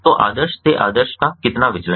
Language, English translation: Hindi, so how much the deviate from the norm, from the norm